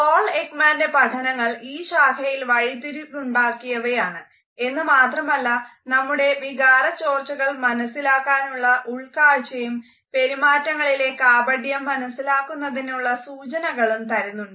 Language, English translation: Malayalam, Paul Ekman's work is a path breaking work and it gives us insights into line emotional leakages of our emotions and also to the clues to deceitful behavior